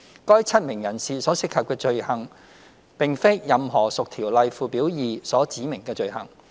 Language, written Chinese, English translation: Cantonese, 該7名人士所涉及的罪行並非任何屬《條例》附表2所指明的罪行。, The offences involved of the seven persons are not listed on Schedule 2 of the Ordinance